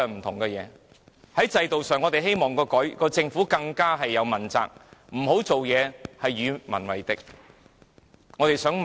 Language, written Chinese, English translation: Cantonese, 在制度上，我們希望政府能問責，不要做任何與民為敵的事情。, Concerning system we hope the Government will be held accountable for its actions and never engage in anything regarded as hostile by its people